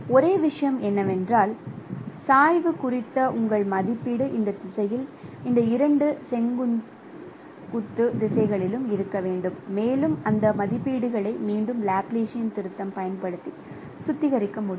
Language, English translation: Tamil, So, only thing is that your estimation of gradient should be along this direction, along these two particular two perpendicular directions and that estimates once again can be refined using the Laplacian correction